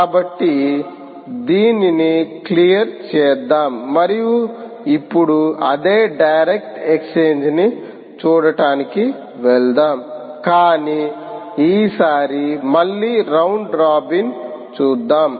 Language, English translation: Telugu, and now lets move on to see the same direct exchange, but this time round robin